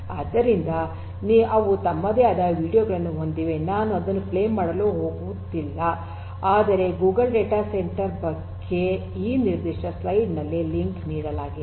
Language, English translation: Kannada, So, they have their own videos I am not going to play it, but Google data centre and it is link is given in this particular slide